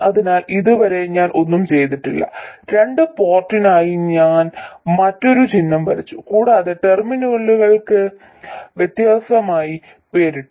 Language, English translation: Malayalam, I have simply drawn a different symbol for a two port and named the terminals differently